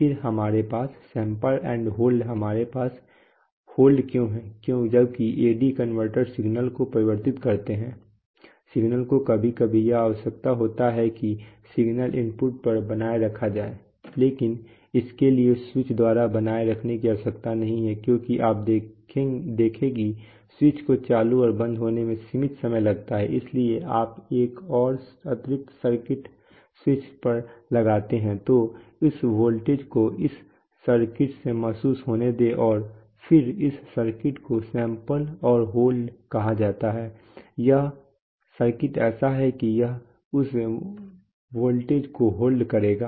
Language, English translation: Hindi, Then we have sample and hold, so why we have hold is that while the AD converters converting the signal, the signal it is sometimes necessary that the signals maintained at the input but, for but that maintaining need not be done by the switch because you see the switches take finite time for getting switched on and off, so you just, so you put another additional circuit such that you put on the switch, so let this voltage be sensed by that circuit and then this circuit is, this circuit is called the sample and hold circuit the circuit is such that it will hold that voltage value